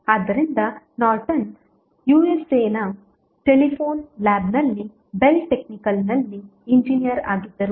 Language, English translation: Kannada, So, Norton was an Engineer in the Bell Technical at Telephone Lab of USA